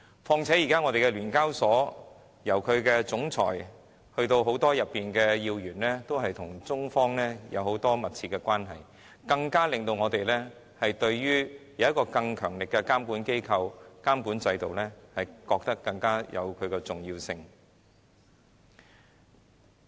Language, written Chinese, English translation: Cantonese, 況且，現時聯交所的總裁及很多要員都與中方有密切關係，這令我們認為設有一個更強力的監管機構和監管制度更顯重要。, Besides since the Chief Executive of SEHK and many of its key officials have very close ties with the Chinese side we consider that having a more powerful regulatory institution and regime is of particular importance